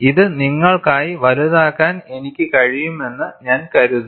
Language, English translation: Malayalam, And I think, I can magnify this for you